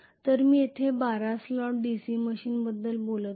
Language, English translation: Marathi, So here I am talking about a 12 slot DC machine